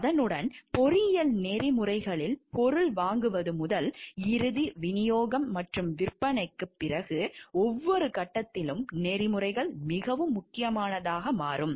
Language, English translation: Tamil, And along with that what we see in for engineering ethics at every step from the procurement of the material to the final delivery and after cells may be at every step ethics becomes very, very important